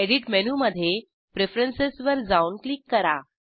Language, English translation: Marathi, Go to Edit menu, navigate to Preferences and click on it